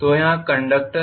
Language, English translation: Hindi, So conductors here as well